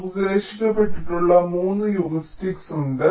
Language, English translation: Malayalam, there are three heuristics which are proposed